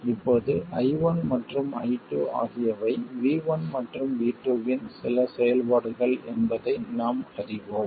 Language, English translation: Tamil, Now we know that I1 and I2 are some functions of V1 and V2